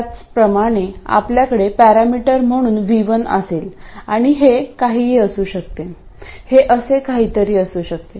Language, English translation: Marathi, And similarly for this one we will have V1 as a parameter and it could be anything, it could be something like that